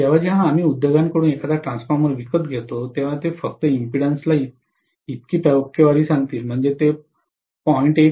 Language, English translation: Marathi, So, generally whenever we buy a transformer from the industry, they will only say the impedances so much percentage, that is may be 0